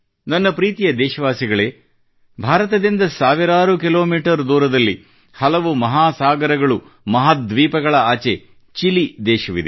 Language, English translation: Kannada, thousands of kilometers from India, across many oceans and continents, lies a country Chile